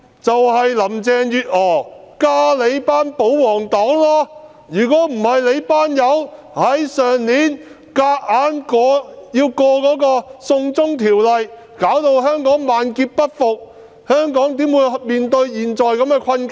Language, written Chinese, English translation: Cantonese, 正是林鄭月娥和你們這些保皇黨，如果這些人沒有在去年試圖強行通過"送中條例"，導致香港萬劫不復，香港怎會面對現時的困境？, Carrie LAM and the royalists are actually the ones who should take the blame and Hong Kong would not have been in the current predicament had they not attempted to force through the extradition to China bill last year which had ruined the territories beyond redemption?